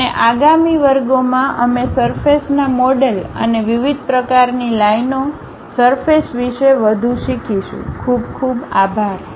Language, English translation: Gujarati, And, in the next classes we will learn more about surface models and different kind of spline surfaces